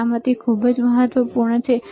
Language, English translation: Gujarati, Safety is extremely important all right